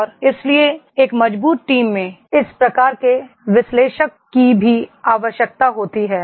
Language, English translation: Hindi, And therefore this type of analyst are also required in a strong team